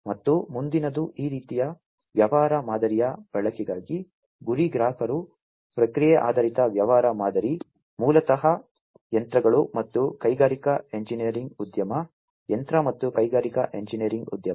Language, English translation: Kannada, And the next one is the target customers for use of this kind of business model the process oriented business model are basically the machines and the plant engineering industry, machine and plant engineering industry